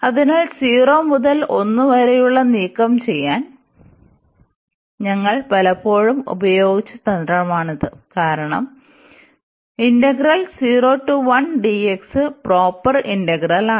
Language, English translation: Malayalam, So, this is the trick very often we used to remove this part here 0 to 1, because this is a proper integral